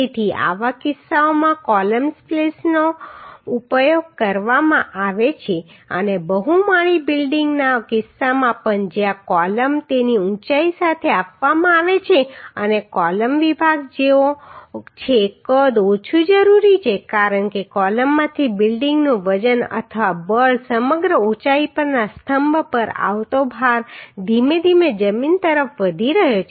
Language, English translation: Gujarati, So in such cases the column splices are used and also in case of multi storage building where the columns are provided along its height we have seen the columns uhh section size is required less because the weight of the or force of the building from the column or the load coming to the column across the height is gradually increasing towards the ground